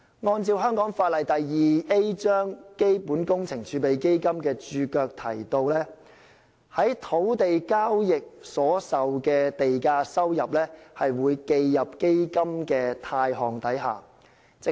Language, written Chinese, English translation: Cantonese, 按照香港法例第 2A 章《基本工程儲備基金》註腳，從土地交易所收受的地價收入會記入基金的貸項下。, According to the note to the Resolution on Capital Works Reserve Fund the Fund Cap . 2A premium income received from land transactions will be credited to the Fund